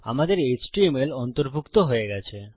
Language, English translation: Bengali, Our html has been incorporated